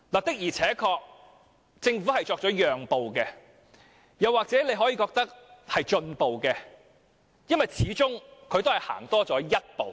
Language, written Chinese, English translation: Cantonese, 不過，政府確實作出了讓步，大家也可以認為它已有進步，因為它始終向前走了一步。, Nevertheless the Government has indeed made a concession and we may consider that it has made progress because after all it has taken a step forward